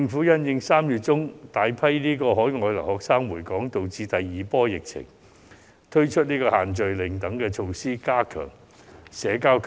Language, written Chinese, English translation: Cantonese, 因應3月中有大批海外留學生回港觸發第二波疫情，政府推出"限聚令"等措施，加強保持社交距離。, In view of the second wave of outbreak triggered by the return of countless overseas students in mid - March the Government has introduced measures such as the group gathering ban to enhance social distancing